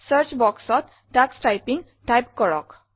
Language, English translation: Assamese, In the Search box, type Tux Typing